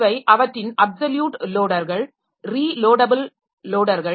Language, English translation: Tamil, So, these are their absolute loaders, relocatable loaders